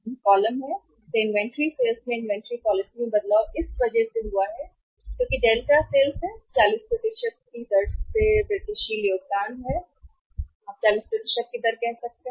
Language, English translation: Hindi, These are the columns, so change in the inventory policy change in the incremental sales because of that so it is delta sales, incremental contribution at the rate of 40% you can say at the rate of 40%